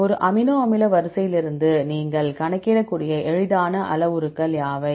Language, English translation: Tamil, What are the easiest parameters you can calculate from an amino acid sequence